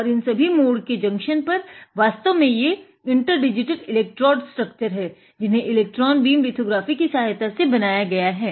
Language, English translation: Hindi, And at the junction of these turns, there is actually inter digitated electrode structure which is fabricated using electron beam lithographic